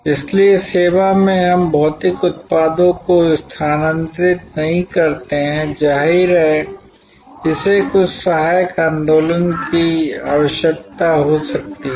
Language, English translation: Hindi, So, in service we do not move physical products; obviously, it may need some accessory movement